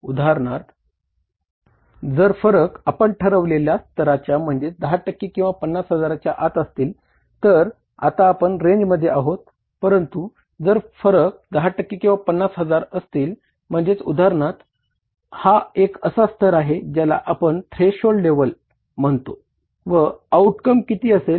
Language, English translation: Marathi, If the variances are within the threshold level of 10% or 50,000 for example, then we are well within the range